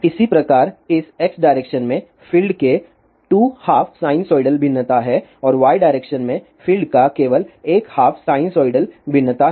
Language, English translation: Hindi, Similarly, for this in the x direction, there are 2 half sinusoidal variations of the field and in the y direction there is no variation of the field